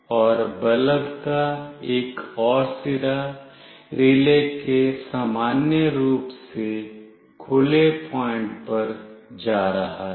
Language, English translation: Hindi, And another end of the bulb is going to this normally open point of the relay